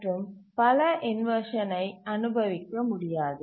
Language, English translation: Tamil, It cannot suffer multiple inversions of this type